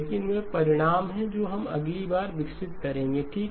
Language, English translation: Hindi, But those are going to be the results that we will develop next okay